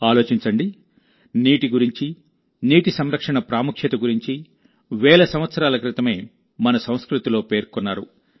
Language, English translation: Telugu, Think about it…the importance of water and water conservation has been explained in our culture thousands of years ago